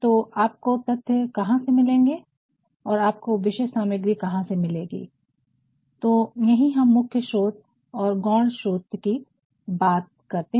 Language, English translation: Hindi, So, from where will you get the data and from where will we have the material that is where we talk about the primary sources and the secondary sources